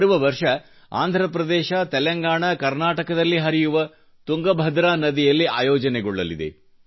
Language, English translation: Kannada, Next year it will be held in Telangana, Andhra Pradesh and Karnataka on the Tungabhadra river